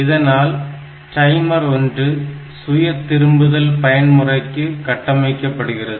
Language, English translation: Tamil, So, it will configure this timer 1 to act as auto repeat mode